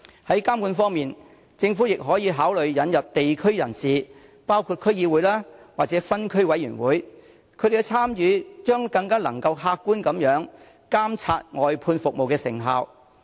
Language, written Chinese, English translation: Cantonese, 在監管方面，政府亦可考慮引入地區人士的參與，包括區議會及分區委員會，他們的參與將能更客觀地監察外判服務的成效。, In terms of supervision the Government can also consider inviting the participation of members of local communities including the District Councils and Area Committees . Their participation can monitor the effectiveness of outsourced services in a more objective manner